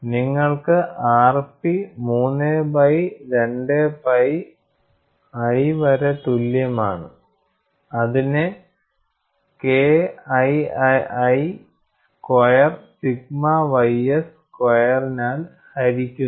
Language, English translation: Malayalam, You find a very simple graph, you get r p equal to 3 by 2 pi K 3 squared divided by sigma ys squared